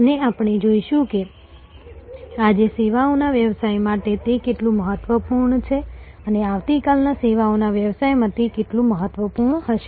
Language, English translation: Gujarati, And we will see, how important it is for services business today and how more important it will be in services business of tomorrow